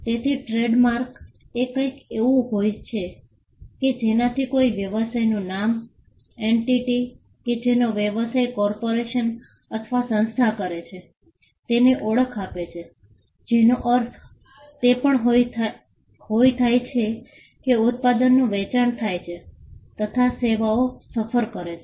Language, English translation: Gujarati, So, a trademark can be something that identifies a business name, the entity that does the business a corporation or a organization, it could also mean a the product that is sold or the services that are offered